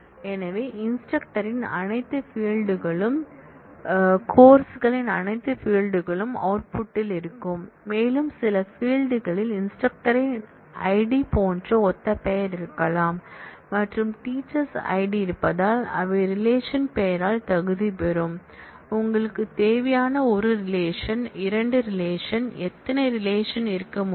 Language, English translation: Tamil, So, all fields of in instructor and all fields of teaches will be there in the output, and since some fields may have identical name like ID in instructor and there is ID in teachers, they will be qualified by the name of the relation, from can have 1 relation, 2 relation any number of relations as you require